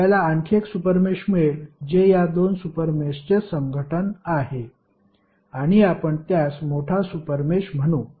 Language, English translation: Marathi, You will get an another super mesh which is the union of both of the super meshes and you will call it as larger super mesh